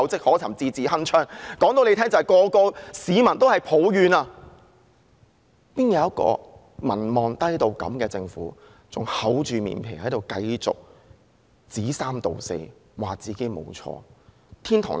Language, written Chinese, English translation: Cantonese, 我告訴他們，現在所有市民也在抱怨怎會有一個民望如此低的政府還厚着面皮繼續說三道四，指自己沒有做錯。, Let me tell them Now people are all grumbling about how a government with such a low approval rating could be so thick - skinned as to continue to make thoughtless comments claiming they have done nothing wrong